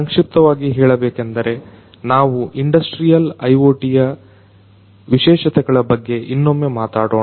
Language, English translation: Kannada, In other words, in a nutshell; let us talk about the specificities of industrial IoT once again